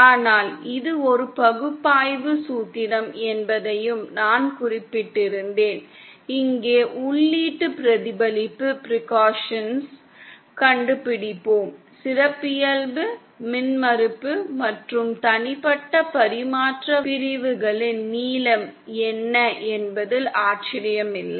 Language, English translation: Tamil, But I had also mentioned that it is just an analysis formula, here we will find out input reflection percussions there will be no wonder what the characteristic impedance and the length of the individual transmission line segments are